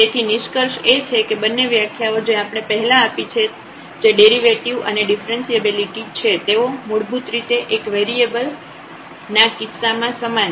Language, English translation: Gujarati, So, the conclusion is that the both the definition what we have given earlier the derivative and the differentiability they are basically the same in case of the single variable